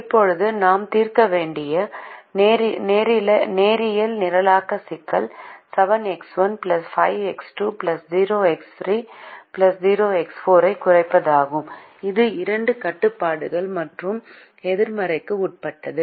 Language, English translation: Tamil, now the linear programming problem that we have to solve is to minimize seven x one plus five x two plus zero x three plus zero x four, subject to the two constraints and non negativity